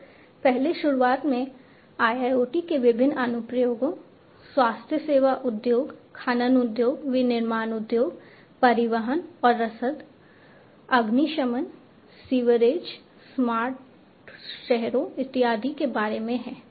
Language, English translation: Hindi, So, earlier at the very outset I was talking about the different applications of IIoT the key applications of IIoT are in the healthcare industry, in mining industry, manufacturing industry, transportation and logistics, firefighting, sewerage, city you know smart cities and so on